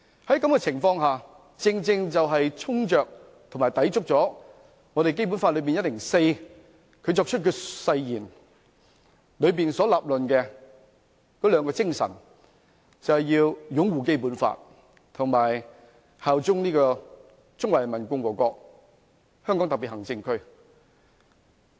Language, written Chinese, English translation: Cantonese, 在這種情況下，他正正衝擊着及抵觸《基本法》第一百零四條關乎他作出的誓言所論述的兩種精神，就是要擁護《基本法》及效忠中華人民共和國香港特別行政區。, In that case he has precisely undermined and contradicted the two spirits set out in Article 104 of the Basic Law in relation to the oath taken by him that is upholding the Basic Law and bearing allegiance to the Hong Kong Special Administrative Region of the Peoples Republic of China